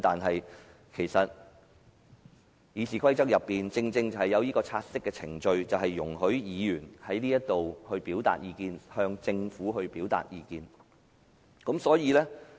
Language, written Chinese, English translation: Cantonese, 事實上，《議事規則》所訂的察悉程序，便是容許議員在議事堂表達意見，以及向政府表達意見。, Actually the take - note procedure under RoP allows Members to express views in the legislature and draw the Governments attention to their views